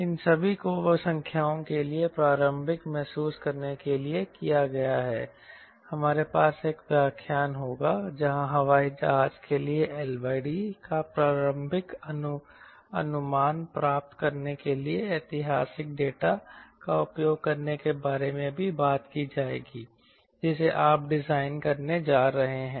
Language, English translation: Hindi, these all have been done to get an initial fill for numbers will have one session where will be talking about how to use historical data to get an estimate of initial estimate of l by d for the airplane which you are going to design